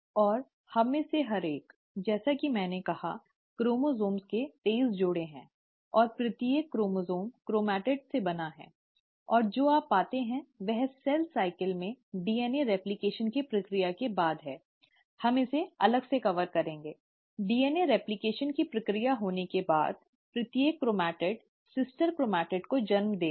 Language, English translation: Hindi, And each one of us, as I said, have twenty three pairs of chromosomes, and each chromosome is made up of chromatids, and what you find is after the process of DNA replication in cell cycle, we will cover this separately; after the process of DNA replication has taken place, each chromatid will give rise to the sister chromatid